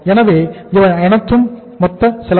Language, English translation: Tamil, So this is the total